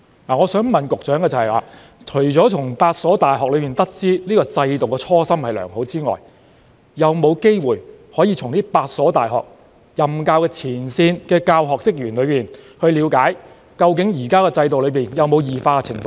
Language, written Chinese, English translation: Cantonese, 我想問局長，除了從8所大學得知這制度的初心良好之外，當局有否機會向8所大學的前線教學人員了解，現行制度究竟有否出現異化情況？, their students . I would like to ask the Secretary Apart from obtaining an understanding of the good original intention of student opinion survey mechanisms from the eight UGC - funded universities have the authorities got an opportunity to find out from frontline teaching staff of the eight universities whether there is an abnormal change in the existing mechanisms?